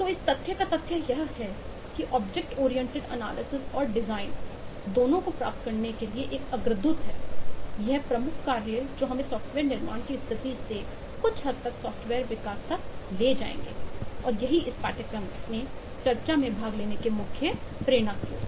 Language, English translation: Hindi, so the fact of the matter is that object oriented analysis and design is a precursor to achieving both these major tasks, which will take us forward somewhat closer to software construction than the state of development that we are in, and that is the main motivation of attending discussing this course